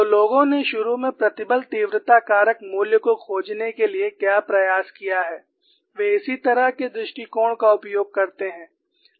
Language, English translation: Hindi, So, what people have initially have attempted to find the stress intensity factor value is, they utilized the similar approach